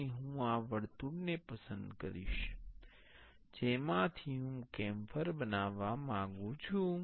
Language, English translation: Gujarati, And I will select this is the circle I want to make camphor from